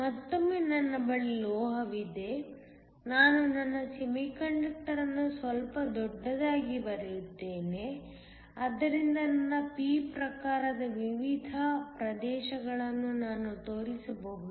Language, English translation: Kannada, Once again I have a Metal; I am going to draw my semiconductor slightly bigger so I can show the different regions that is my p type